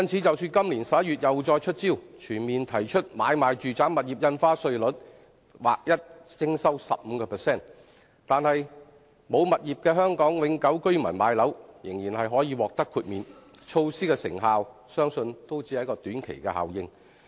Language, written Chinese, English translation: Cantonese, 即使今年11月政府又再出招，全面提高買賣住宅物業印花稅率至劃一 15%， 而沒有物業的香港永久居民買樓仍然可獲豁免，但措施的成效相信亦只是短期效應。, Even though the Government in November this year introduced another measure to increase the stamp duty rates for residential property transactions across the board to a flat rate of 15 % with first - time home buyers who are Hong Kong permanent residents being exempted as before this measure is also believed to have only short - term effects